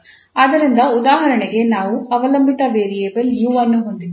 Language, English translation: Kannada, So for instance, we have a dependent variable u which depends on x and t